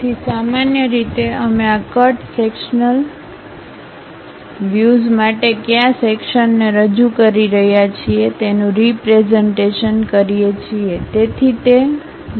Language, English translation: Gujarati, So, usually we represent which section we are representing for this cut sectional view